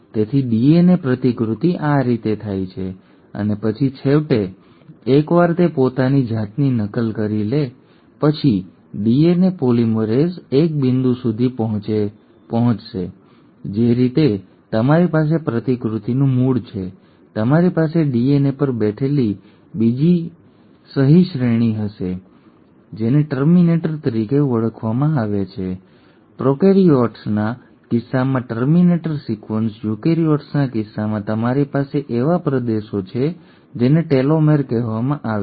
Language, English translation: Gujarati, So this is how the DNA replication happens and then finally once it has copied itself the DNA polymerase will reach a point the way you have origin of replication, you will have another signature sequence sitting on the DNA which is called as the terminator, a terminator sequence in case of prokaryotes, in case of eukaryotes you have regions which are called as telomere